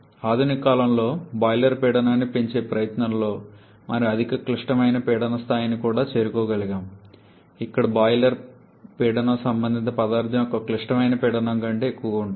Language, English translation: Telugu, In the modern times in an effort to increase the boiler pressure we have also been able to reach the supercritical pressure level where the boiler pressure is actually greater than the critical pressure of the corresponding substance